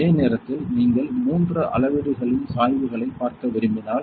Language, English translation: Tamil, At the same time; suppose if you want to see the three gauges gradients